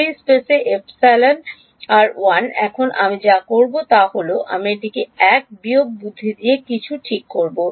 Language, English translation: Bengali, In free space epsilon r is 1 now what I will do is, I will make it 1 minus j something right